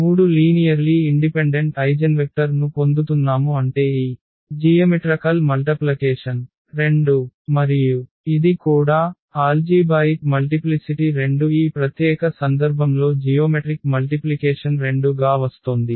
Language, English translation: Telugu, So, by doing so what we are actually getting here we are getting 3 linearly independent eigenvector meaning this geometric multiplicity of 2 is 2 and also it is; as the algebraic multiplicity is 2, also the geometric multiplicity in this particular case is coming to be 2